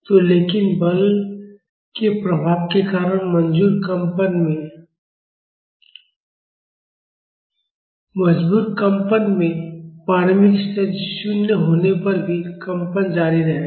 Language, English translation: Hindi, So, but in forced vibration because of the effect of force, the vibration will be continuing even if the initial conditions are 0